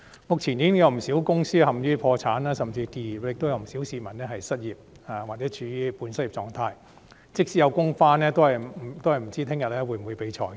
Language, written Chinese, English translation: Cantonese, 目前，已經有不少公司陷於破產甚至結業，亦有不少市民失業或處於半失業的狀態，即使能上班，也不知道明天會否被裁員。, These days quite a number of companies are already on the brink of bankruptcy or even closure and many members of the public are unemployed or in a state of semi - unemployment . Even if they still have a job they do not know whether they will be laid off tomorrow